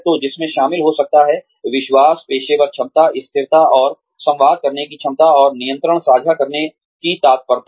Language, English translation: Hindi, So, which could include, trust, professional competence, consistency, and the ability to communicate, and readiness to share control